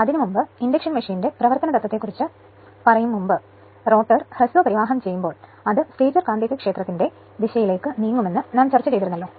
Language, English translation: Malayalam, So, before that that regarding principle of operation of induction machine we have discussed that, when the rotor is short circuited its a this thing its a we assume that rotor is short circuited itself, then it tends to move right in the direction of the stator magnetic field right